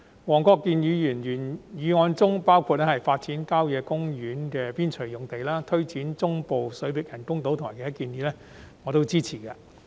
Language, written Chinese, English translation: Cantonese, 黃國健議員的原議案的建議包括發展郊野公園邊陲用地、推展中部水域人工島工程及其他建議，我全部都支持。, The proposals of Mr WONG Kwok - kins original motion include developing sites on the periphery of country parks and taking forward the project of artificial islands in the Central Waters . I support all these proposals